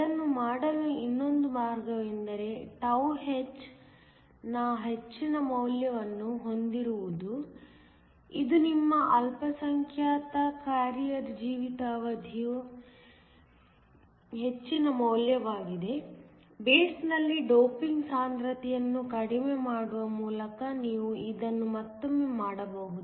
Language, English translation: Kannada, Another way to do that is to have a higher value of τh, which is the higher value of your minority carrier lifetime; this again you can do by reducing the doping concentration in the base